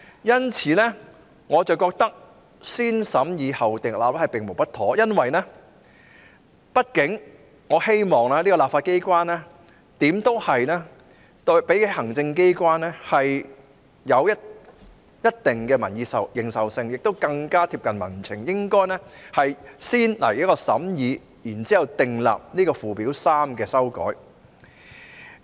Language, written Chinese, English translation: Cantonese, 因此，我認為"先審議後訂立"並無不妥，因為立法機關畢竟較行政機關更具民意認受性，亦更加貼近民情，所以應該先行審議，然後才對附表3作出修訂。, Therefore I think there is nothing wrong to adopt the positive vetting procedure because after all the legislature has greater credibility and keeps tabs on public sentiments more closely than the Executive Authorities . Such being the case deliberations should be conducted before any amendment is made to Schedule 3